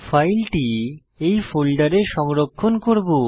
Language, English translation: Bengali, We will save the file inside this folder